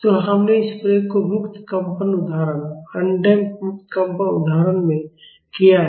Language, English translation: Hindi, So, we have done this use in the free vibration example, undamped free vibration example